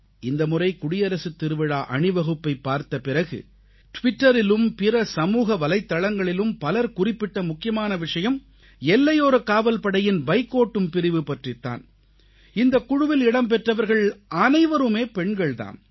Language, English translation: Tamil, This time, after watching the Republic Day Parade, many people wrote on Twitter and other social media that a major highlight of the parade was the BSF biker contingent comprising women participants